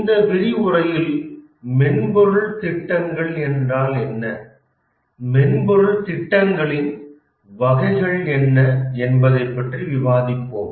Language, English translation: Tamil, In this lecture we will discuss about what are exactly software projects